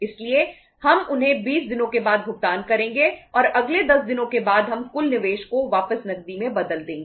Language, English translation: Hindi, So we will pay them after 20 days and after next 10 more days we will convert the total investment back into the cash